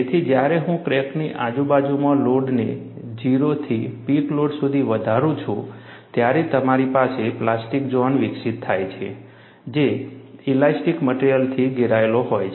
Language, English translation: Gujarati, So, when I increase the load from 0 to peak load, in the vicinity of the crack, you have plastic zone developed, which is surrounded by elastic material